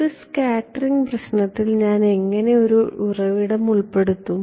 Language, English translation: Malayalam, How will I incorporate a source in a scattering problem